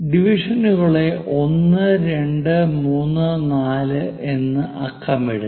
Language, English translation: Malayalam, Number the divisions as 1, 2, 3, 4